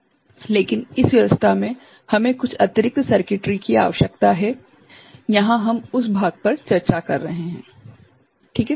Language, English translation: Hindi, So, but in this arrangement we need some additional circuitry we are discussing that part over here ok